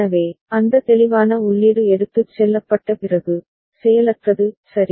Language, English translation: Tamil, So, after that clear input is taken away, is inactive right